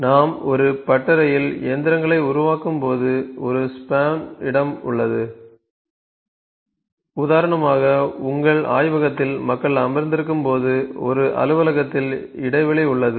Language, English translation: Tamil, You know when we put the machines in a workshop there is a span; for instance in your laboratory when people are sitting in an office this is span